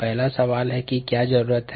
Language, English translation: Hindi, the first question to ask is: what is needed